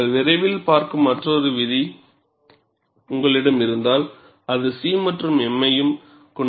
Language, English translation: Tamil, If you have another law which you would see sooner, it will also have C and m, but those symbols are not same as these symbols